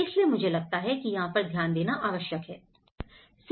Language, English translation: Hindi, So, I think this is where one has to look at